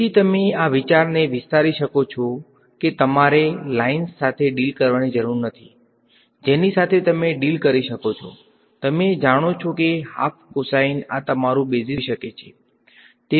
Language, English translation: Gujarati, So, you can extend this idea you dont have to deal with lines you can deal with you know half cosines these can be your basis function